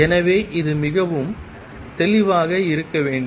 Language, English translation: Tamil, So, this should be very clear